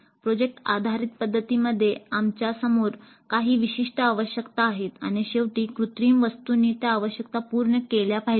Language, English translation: Marathi, In project based approach, upfront we are having certain user requirements and at the end the artifact must satisfy those requirements